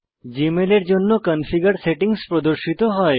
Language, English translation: Bengali, The configuration settings for Gmail are displayed